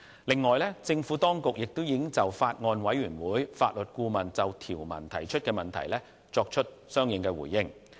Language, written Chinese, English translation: Cantonese, 另外，政府當局亦已就法案委員會法律顧問就條文提出的問題作出相應的回應。, In addition the Administration has responded to the questions raised by the Legal Adviser to the Bills Committee on the provisions